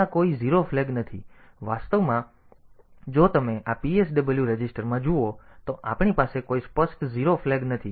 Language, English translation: Gujarati, So, there is no 0 flag, actually and if you look into this PSW register, so we do not have any explicit 0 flag